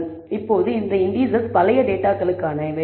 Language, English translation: Tamil, So, now, these indices are for the old data